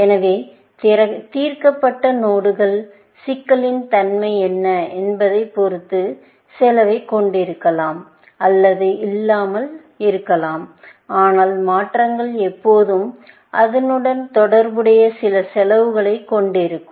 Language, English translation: Tamil, So, solved nodes may or may not have cost, depending on what is the nature of the problem, but transformations will always, have some costs associated with it